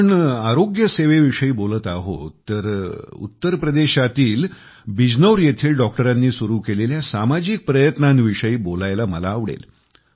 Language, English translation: Marathi, Since we are referring to healthcare, I would like to mention the social endeavour of doctors in Bijnor, Uttar Pradesh